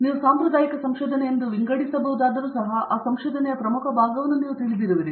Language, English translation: Kannada, So even though something may be classified as a traditional research you may, you will have you know leading edge part of that research going on